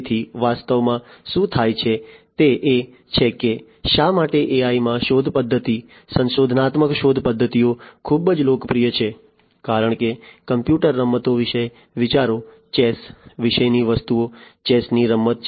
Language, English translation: Gujarati, So, actually what happens is why the you know AI is you know why the search method heuristic search methods are very popular in AI is, because think about computer games, things about chess the game of chess, etcetera